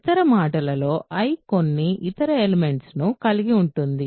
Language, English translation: Telugu, In other words I contains some other element